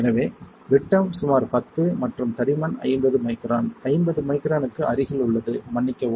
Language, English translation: Tamil, So, diameter is about 10 and I am sorry the thickness is close to 50 microns, 50 micron is the thickness of the tip